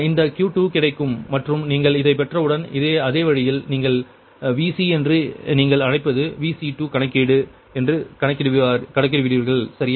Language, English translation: Tamil, this q two will get and the once you get these in same way, same way you calculate your, that, your what, what you call that ah, ah, vc took a vc two, ah computation, right